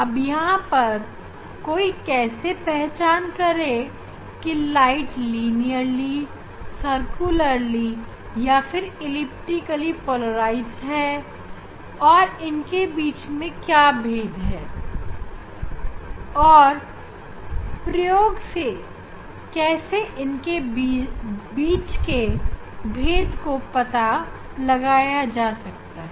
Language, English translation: Hindi, here whatever the one can identify whether it is linearly polarized light, whether it is circularly polarized light, whether it is elliptical polarized light, how to distinguish them; experimental one can find out